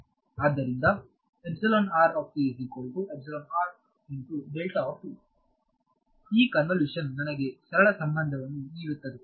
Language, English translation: Kannada, So, then this convolution gives me the simple relation right